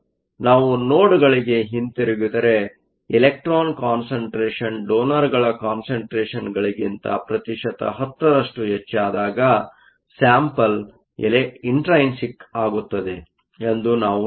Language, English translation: Kannada, So, if we go back to the nodes we say that the sample is intrinsic when the electron concentration is 10 percent more than the donor concentration